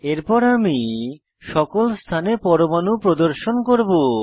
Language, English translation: Bengali, Next I will display atoms on all positions